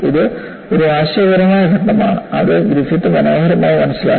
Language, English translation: Malayalam, It is a conceptual step, which was beautifully understood by Griffith